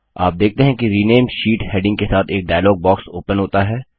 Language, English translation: Hindi, You see that a dialog box opens up with the heading Rename Sheet